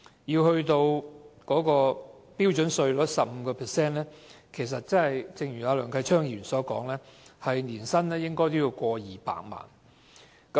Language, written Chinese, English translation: Cantonese, 要達到 15% 標準稅率的水平，按梁繼昌議員所說，年薪必須超過200萬元。, For taxpayers paying tax at the standard rate of 15 % their annual earnings must be over 2 million according to Mr Kenneth LEUNG